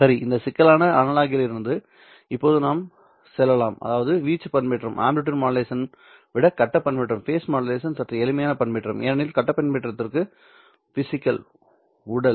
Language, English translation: Tamil, Let us now go from this complicated analog, I mean amplitude modulation to a slightly simpler modulation that of the phase modulation